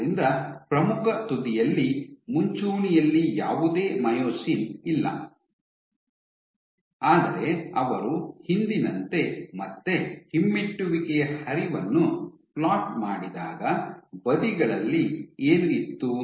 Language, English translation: Kannada, So, at the leading edge, no myosin at the leading edge, but when they plotted the retrograde flow again as before what you had from the sides